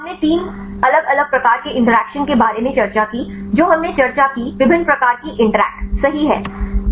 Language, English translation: Hindi, We discussed about three different types of interactions right what are different types of interactions we discussed